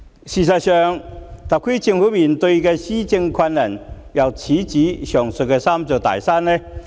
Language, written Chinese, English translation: Cantonese, 事實上，特區政府面對的施政難題，又豈止這"三座大山"。, In fact the difficulties in governance encountered by the Government are surely not confined to these three big mountains